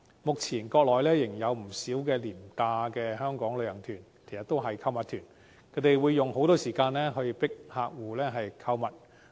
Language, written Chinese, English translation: Cantonese, 目前，國內仍有不少廉價的香港旅行團，其實都是購物團，他們會用很多時間強迫旅客購物。, At present there are still a number of low - fare Mainland tours to Hong Kong which are actually shopping tours with a lot of time spent on coerced shopping